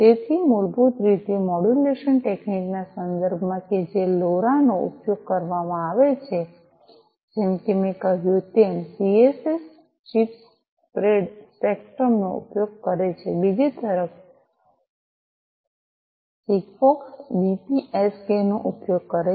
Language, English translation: Gujarati, So, basically in terms of modulation technique that is used LoRa as I said uses CSS chirp spread spectrum on the other hand SIGFOX uses BPSK